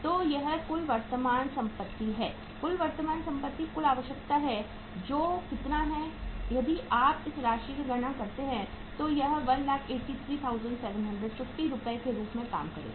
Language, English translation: Hindi, So this is the total current assets, total current assets is going to be the total requirement which is how much if you calculate this sum it up it will work out as 183,750 Rs